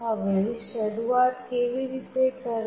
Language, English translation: Gujarati, Now, how to start